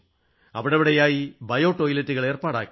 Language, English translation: Malayalam, Biotoilets were also provided at many places